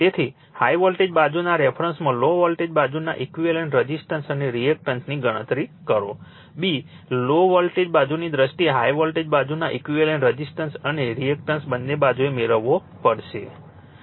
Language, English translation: Gujarati, So, calculate the equivalent resistance and reactance of low voltage side in terms of high voltage side, b, equivalent resistance and reactance of high voltage side in terms of low voltage side both side you have to get it, right